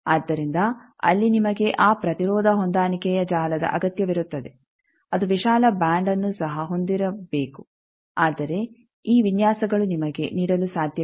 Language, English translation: Kannada, So, there you need that impedance matching network also should be having wide band, but these designs cannot give you